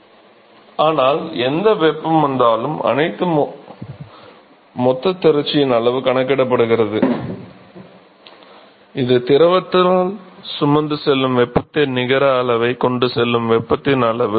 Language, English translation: Tamil, Right, but whatever heat comes in leaves the everything is accounted in the total amount of accumulation, this is the amount of heat that is carried net amount of heat carried by the fluid